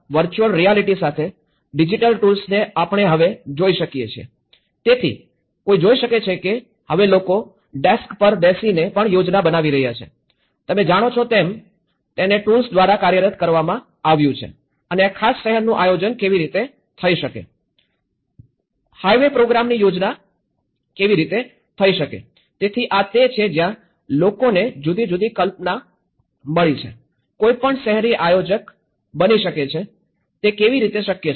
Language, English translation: Gujarati, But now, looking at the digital tools now, with the VR; the virtual reality so, one can see that now people are making the planning even by sitting at a desk, you know by the tools have been operational and how this particular city could be planned, the high way program could be planned, so that is where people are getting a different notion, anyone can become urban planners, how is it possible